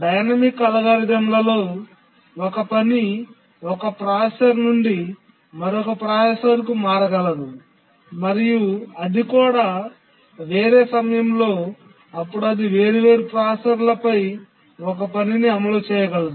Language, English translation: Telugu, Whereas we also have dynamic algorithms where a task can migrate from one processor to other and at different time instance it can execute on different processors